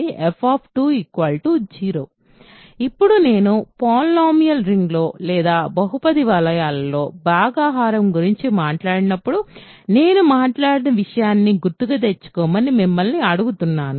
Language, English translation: Telugu, So, now I am going to tell you ask you to recall something I talked about when I talked about division inside polynomial rings